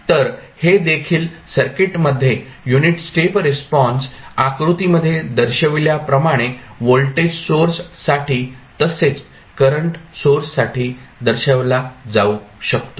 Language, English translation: Marathi, So, that also says that in the circuit the unit stop response can be represented for voltage as well as current source as shown in the figure